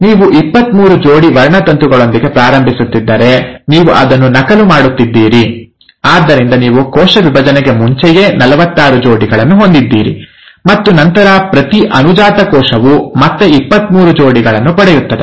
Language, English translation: Kannada, If you are starting with twenty three pairs of chromosome, you are duplicating it, so you end up having fourty six pairs, right before the cell division, and then each daughter cell again ends up getting twenty three pairs